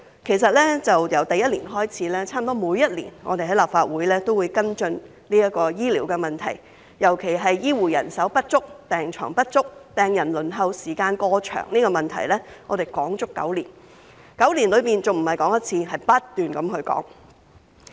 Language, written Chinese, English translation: Cantonese, 其實，由第一年開始，差不多每年我們在立法會都會跟進醫療問題，尤其是醫護人手不足、病床不足、病人輪候時間過長，這個問題我們討論了足足9年，而且9年內不止討論一次，而是不斷討論。, In fact healthcare is an issue which has almost been followed up in the Council every year since my first year of service with the shortage of healthcare personnel the inadequacy of hospital beds and the long waiting time for patients being our major concerns . Healthcare is not only an issue which has been discussed for nine years but also an issue which has been discussed on an ongoing basis